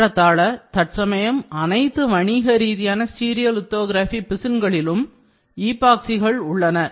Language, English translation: Tamil, All most all commercially variable stereolithography resins have significant amounts of epoxy these days